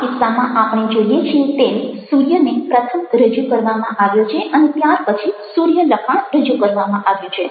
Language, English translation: Gujarati, in this case, we find that the sun has been presented first and then the text sun